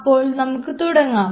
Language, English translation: Malayalam, So, just start off with